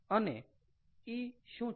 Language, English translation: Gujarati, and what is e